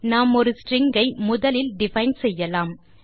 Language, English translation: Tamil, We shall define a string first